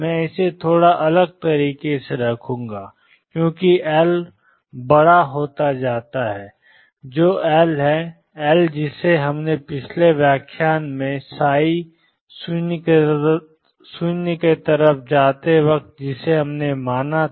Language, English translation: Hindi, I will put this slightly differently as L becomes large what is L, the L that we considered in the previous lecture psi goes to 0